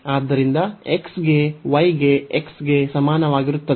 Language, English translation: Kannada, So, x is equal to a